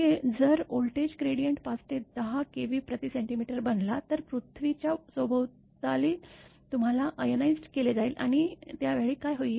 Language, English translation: Marathi, That if the voltage gradient it becomes at 5 to 10 kilo Volt per centimeter; surrounding earth you will be ionized and at the time what will happen